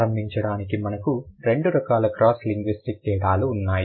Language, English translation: Telugu, To begin with, we have two kinds of cross linguistic differences